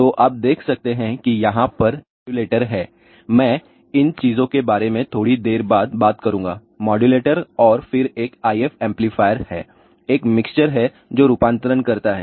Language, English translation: Hindi, So, you can see that there is a modulator over here, I will talk about these thing little later modulator then there is an if amplifier there is a mixer based as up conversion